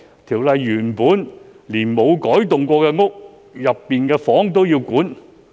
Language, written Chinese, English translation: Cantonese, 《條例草案》連原本無改動過的單位都要規管。, The Bill has originally proposed to regulate premises which have not been altered